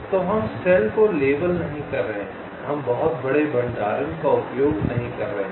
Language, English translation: Hindi, so we are not labeling cells, we are not using very large storage, only in